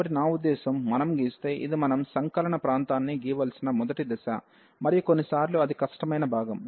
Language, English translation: Telugu, So, if we draw I mean this is the first step that we have to draw the region of integration, and sometimes that is the difficult part